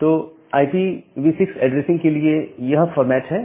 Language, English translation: Hindi, So, this is the format for the IPv6 addressing